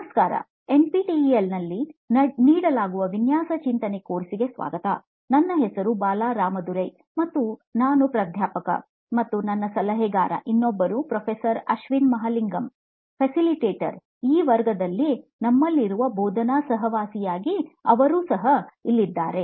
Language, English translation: Kannada, Hello and welcome to the design thinking course offered on NPTEL, my name is Bala Ramadurai and I am a professor and consultant, the other facilitator is Professor Ashwin Mahalingam, who is also going to be there as part of the teaching duo that we have for this class